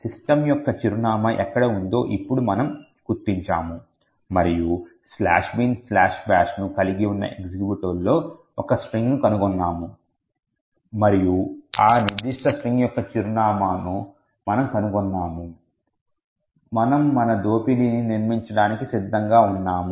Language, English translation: Telugu, Now that we have identified where the address of system is present and also, we have found a string in the executable which contains slash bin slash bash and we found the address of that particular string, we are ready to build our exploit